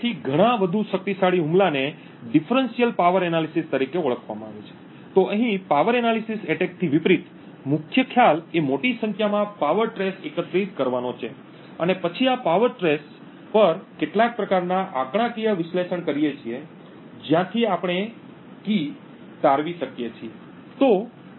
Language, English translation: Gujarati, So, a much more powerful attack is known as a Differential Power Analysis attack, so the main concept over here unlike the simple power analysis attack is to collect a large number of power traces and then perform some kind of statistical analysis on these power traces from which we deduce the key